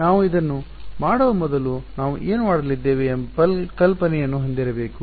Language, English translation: Kannada, Before we do that we should have an idea of what we are going to do